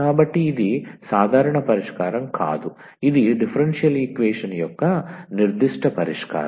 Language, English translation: Telugu, So, this is no more a general solution, this is a particular solution of the given differential equation